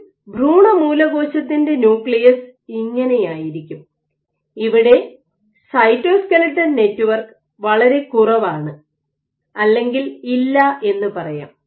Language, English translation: Malayalam, So, of an embryonic stem cell this is what the nucleus will look like, there is very little or no cytoskeletal network